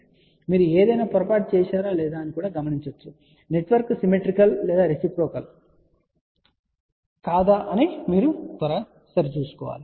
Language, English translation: Telugu, And just you see whether you have done any mistake or not you can make a quick check whether the network is symmetrical or and reciprocal or not